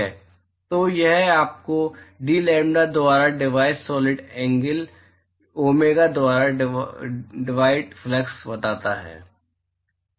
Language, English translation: Hindi, So, that tells you the flux divided by the solid angle domega divided by dlambda